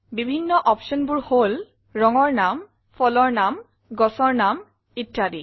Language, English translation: Assamese, The different options are names of colors, fruits, plants, and so on